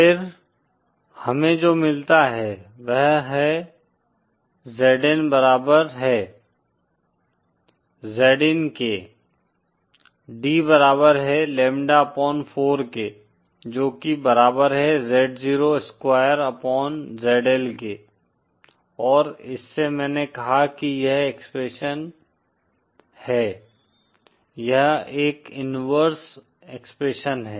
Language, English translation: Hindi, Then what we get is Zn is equal to Z in D is equal to lambda upon 4 which is equal to Z 0 Square upon ZL and from this I said that this is the expression for , it is an inversion expression